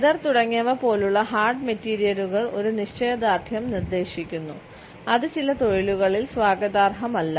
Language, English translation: Malayalam, Hard materials like leather etcetera suggest a belligerence and assertiveness which is not welcome in certain professions